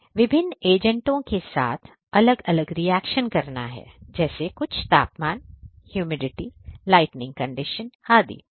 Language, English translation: Hindi, Performing different reactions with different agents, reagents under certain temperature humidity lighting condition and so on